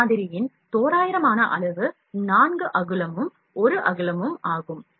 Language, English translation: Tamil, The approximate size of this model is 4 inch by 1 inch by 2 inch